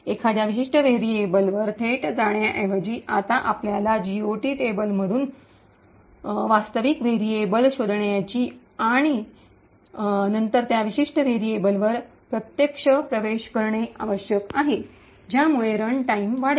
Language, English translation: Marathi, Instead of directly going and accessing a particular variable, now we need to find out the actual variable from the GOT table and then make an indirect access to that particular variable, thus resulting in increased runtime